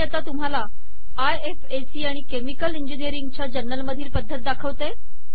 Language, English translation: Marathi, I will now show a style that is used by ifac and chemical engineering journals